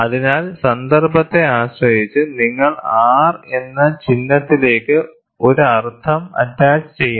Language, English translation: Malayalam, So, depending on the context, you should attach a meaning to the symbol R